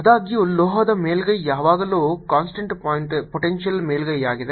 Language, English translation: Kannada, however, a metallic surface, his is always constant potential surface